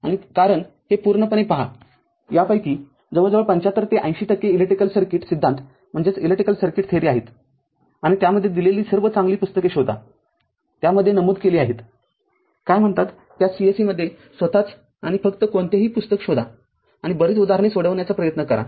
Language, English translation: Marathi, And because this is purely your see your nearly 75 to 80 percent of this course is basically electric circuit theory and find out all the good books are given in that your I have mentioned in that your what you call, in that course itself and just find out any book and try to solve many problems